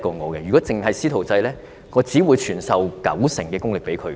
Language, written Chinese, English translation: Cantonese, 但是，如果僅僅是"師徒制"的話，我只會傳授九成功力給他。, However if only the mentorship approach is adopted I will only pass 90 % of my knowledge onto him